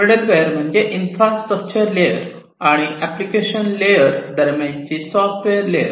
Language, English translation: Marathi, Middleware means it is a software layer, which will be standing between the infrastructure layer and the application layer